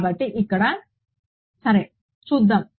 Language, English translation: Telugu, So, let us look over here ok